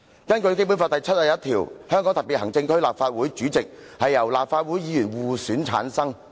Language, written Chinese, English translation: Cantonese, 根據《基本法》第七十一條，"香港特別行政區立法會主席由立法會議員互選產生。, Under Article 71 of the Basic Law The President of the Legislative Council of the Hong Kong Special Administrative Region shall be elected by and from among the members of the Legislative Council